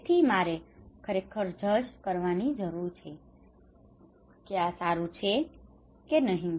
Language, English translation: Gujarati, So I really need to judge second that this is good or not